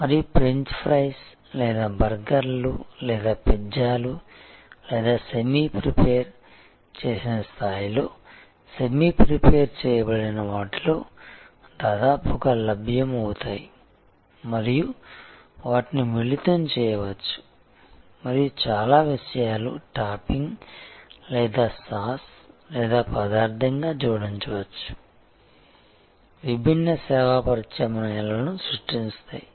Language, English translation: Telugu, And like whether French fries or burgers or pizzas or which are almost available on semi prepared at semi prepared level and they can be combined and lot of things can be added like as a topping or as a sauce or as an ingredient, creating different service alternatives